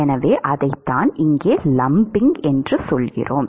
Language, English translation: Tamil, So, that is what we mean by lumping here